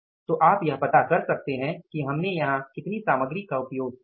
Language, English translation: Hindi, So, you can find out what is now the total material we have used here